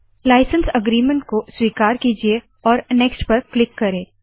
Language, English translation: Hindi, Accept the license agreement click Next